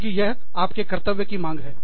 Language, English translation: Hindi, Because, your duty demands it